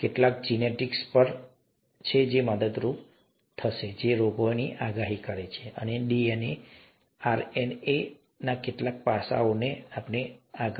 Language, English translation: Gujarati, Some genetics which are, which is helpful in, predicting diseases and some aspects of DNA, RNA, and so on so forth